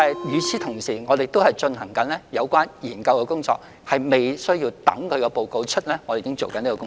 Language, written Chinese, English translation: Cantonese, 與此同時，我們正在進行相關研究工作，這是在報告發表前已經進行的工作。, Meanwhile we are conducting a relevant study which has already started before the release of the report